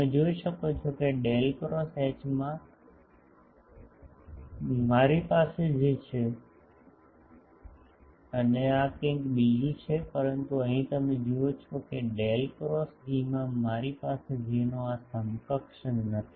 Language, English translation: Gujarati, You can see that in Del cross H, I have a J and there is something else, but here you see that in Del cross E, I do not have this counterpart of J